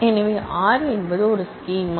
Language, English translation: Tamil, So, R is a schema